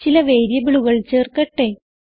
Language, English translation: Malayalam, Let us add some variables